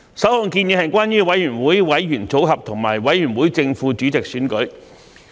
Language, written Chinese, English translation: Cantonese, 首項建議，是關於委員會委員組合及委員會正副主席選舉。, The first proposal relates to committee membership and election of the chairman and deputy chairman of a committee